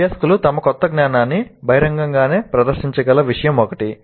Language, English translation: Telugu, One of the things can be that learners can publicly demonstrate their new knowledge